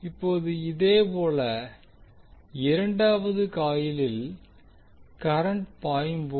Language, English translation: Tamil, Now similarly in this case when the current is flowing in second coil